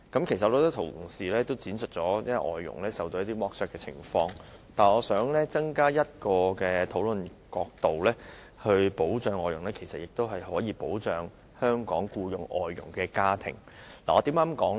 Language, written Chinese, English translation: Cantonese, 很多同事闡述了外傭受剝削的情況，我想增加一個討論角度，就是保障外傭的同時，其實亦可保障聘用外傭的香港家庭。, Many Honourable colleagues have expounded the situations of the exploitation of foreign domestic helpers . I would like to add an angle for the discussion that is while protection should be provided to foreign domestic helpers the Hong Kong families hiring foreign domestic helpers should also be protected actually